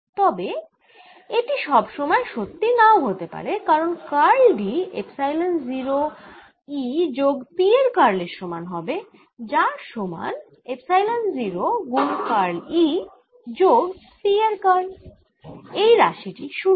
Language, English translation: Bengali, but this is not necessarily true, because curl of d will be equal to curl of epsilon zero, e plus p, which is epsilon zero, curl of e plus curl of p